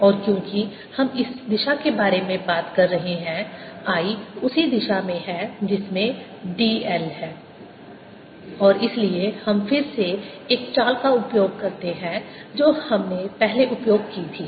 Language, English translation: Hindi, and since we have been talking about this direction, i is in the same direction is d l, and therefore we again use a trick that we used earlier